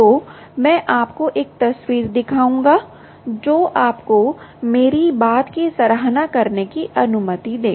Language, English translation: Hindi, so i will show you a picture which will allow you to appreciate what i am saying